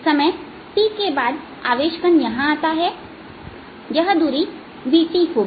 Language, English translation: Hindi, after time t with charge particle, come here, this distance between v, t and now